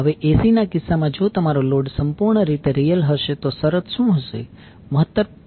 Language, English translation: Gujarati, Now, in case of AC if your load is purely real what would be the condition